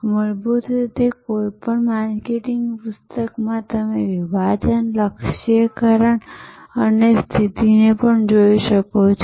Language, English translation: Gujarati, Fundamentally in any marketing book you can also look at segmentation, targeting and positioning